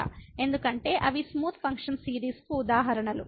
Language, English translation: Telugu, Because they are examples of smooth function series